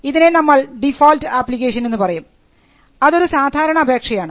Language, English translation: Malayalam, So, this is the default application; it is an ordinary application